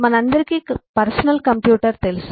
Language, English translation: Telugu, this is the personal computer